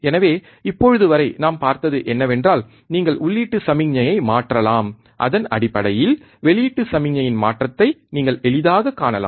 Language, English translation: Tamil, So, what we have seen until now is that you can change the input signal, and based on that, you can easily see the change in the output signal